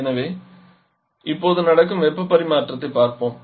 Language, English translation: Tamil, So now let us look at the heat transfer that is happening